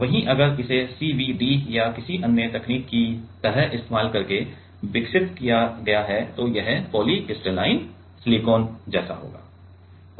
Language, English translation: Hindi, Whereas, if it is grown using like CVD or any other technique, then it will be, then it will be like polycrystalline silicon